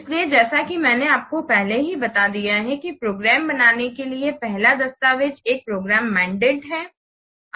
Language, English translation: Hindi, So as I have already told you, the first document, the first document for creating a program is a program mandate